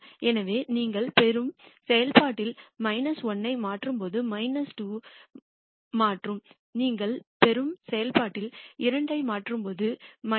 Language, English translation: Tamil, So, when you substitute minus 1 into the function you get minus 2 and when you substitute 2 into the function you get minus 29